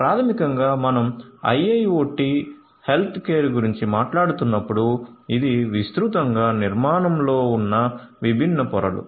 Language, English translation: Telugu, So, basically you know when you are we are talking about IIoT healthcare, these are broadly the different layers in the architecture